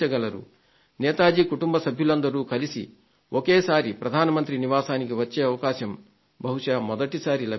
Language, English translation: Telugu, Netaji's family members, probably, must have been invited together to the Prime Minister's residence for the first time